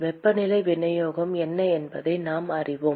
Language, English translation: Tamil, And we know what is the temperature distribution